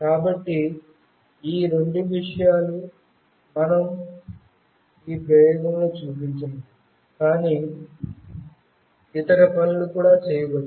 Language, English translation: Telugu, So, these are the two things that we have shown in the experiment, but other things can also be done